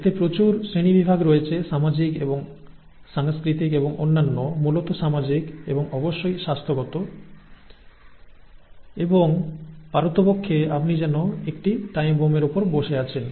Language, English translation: Bengali, So it is it has a lot of ramifications social and cultural and so social essentially and of course health wise and the fact that you could be sitting on a ticking time bomb